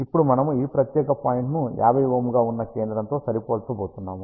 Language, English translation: Telugu, Now, we are going to match this particular point to the centre which is 50 Ohm